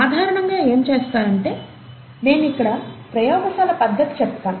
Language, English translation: Telugu, So what people normally do, let me describe the lab procedure here